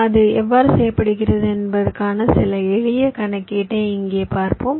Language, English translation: Tamil, so here i shall be showing you some simple calculation how it is done